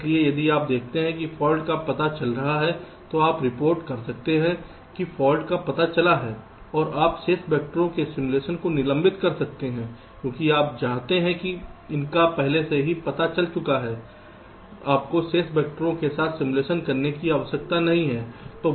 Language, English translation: Hindi, so if you see that the fault is getting detected, then you can report that the fault is detected and you can suspend simulation of the remaining vectors because you know that it is already detected